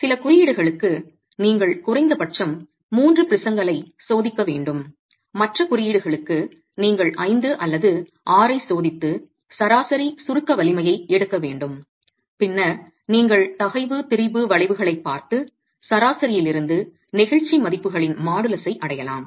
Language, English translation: Tamil, Some codes require that you test a minimum of three prisons, other codes require that you test five or six and take an average of the compressive strength and then you can also look at the stress strain curves and arrive at modulus of elasticity values from the average estimates across the set of specimens that you are testing